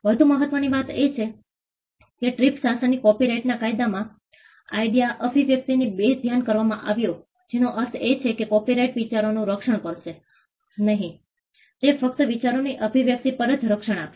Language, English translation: Gujarati, More importantly the TRIPS regime brought the idea expression dichotomy in copyright law which means copyright will not protect ideas; it will only offer protection on expression of ideas